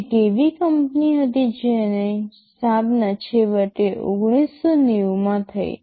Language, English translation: Gujarati, There was a company which that finally, got founded in 1990